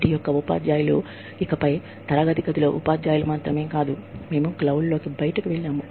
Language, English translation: Telugu, s teachers, are no longer, just teachers in the classroom, we have gone out, into the cloud